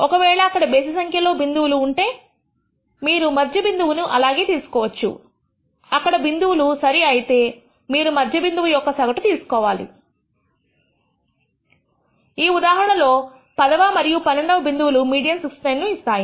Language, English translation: Telugu, If there are odd number of points then you can take the middle point just as it is because there are even number of points, you take the average of the mid midpoints, in this case the tenth and the eleventh point and that gives you a median of 69